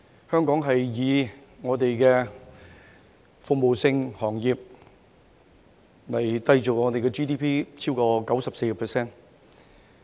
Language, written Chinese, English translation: Cantonese, 香港向以服務性行業締造本地的 GDP， 所佔比重超過 94%。, The economy of Hong Kong has all along relied heavily on service industries which account for over 94 % of our Gross Domestic Product GDP